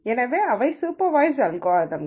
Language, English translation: Tamil, So, those are supervised algorithms